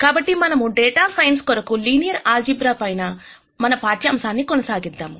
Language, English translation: Telugu, So, let us continue with our lectures on linear algebra for data science